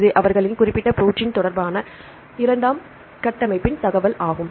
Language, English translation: Tamil, This is the secondary structure information regarding their particular protein